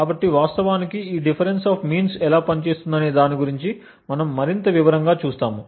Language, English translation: Telugu, So, we will look more in detail about how this difference of means actually works